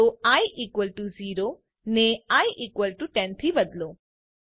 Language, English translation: Gujarati, So change i equal to 0 to i equal to 10